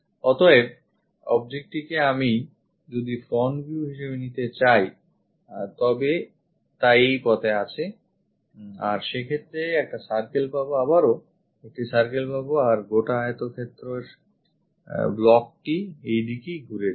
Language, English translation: Bengali, So, object is located in that way if I am going to pick this one as the front view; we will have circle again one more circle and this entire rectangular block turns out to be in that way